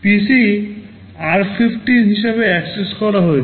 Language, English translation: Bengali, PC is accessed as r15